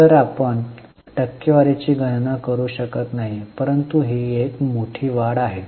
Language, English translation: Marathi, So you can't calculate percentage but it's a sizable increase